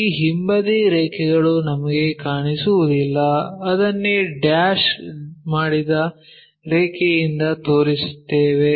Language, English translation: Kannada, This backside lines we cannot really see that is the reason we show it by dashed line